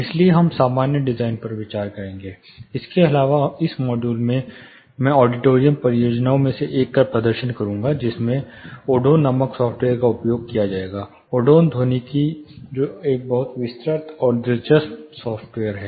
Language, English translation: Hindi, (Refer Slide Time: 01:00) So, we will look at general design consideration, apart from this in this module I will be demonstrating one of the auditorium project, using a software called Odeon; Odeon acoustics ,which is a very you know detailed and interesting software